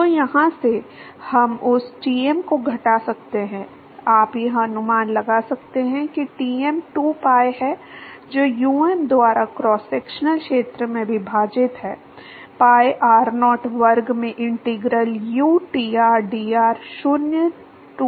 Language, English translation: Hindi, So, from here, we can deduce that Tm, you can deduce that Tm is 2pi divided by u m into cross sectional area is pi r naught square into integral uTr dr, 0 to r naught